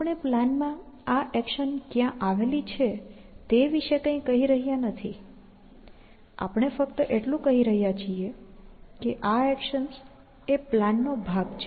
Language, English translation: Gujarati, So, we are not saying anything about where they lie in the plan; all you are saying is that these are actions as part of the plan